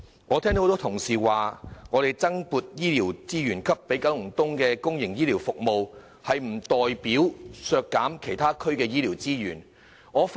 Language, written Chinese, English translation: Cantonese, 我聽到多位同事說，增撥資源予九龍東的公營醫療服務，可能意味其他區的醫療資源會遭削減。, I have heard a number of Honourable colleagues say that the provision of additional resources for public healthcare services in Kowloon East may imply a slash of healthcare resources in other districts